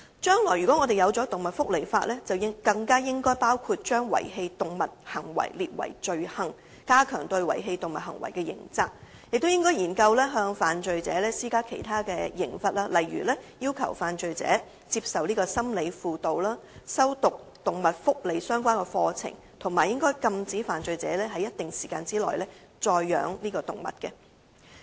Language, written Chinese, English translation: Cantonese, 如果香港將來制定動物福利法例，更應該將遺棄動物行為列為罪行，加強對遺棄動物行為的刑責，亦應研究向犯罪者施加其他刑罰，例如要求犯罪者接受心理輔導、修讀有關動物福利的課程，以及禁止犯罪者在一定時間內再飼養動物。, In case Hong Kong enacts legislation on animal welfare in future it should include the abandonment of animals as an offence and increase the criminal liabilities for an act of abandoning animals . Furthermore the Government should also explore imposing other penalties on offenders such as requiring them to receive psychological counseling and attend courses on animal welfare and forbidding them to keep animals for a period of time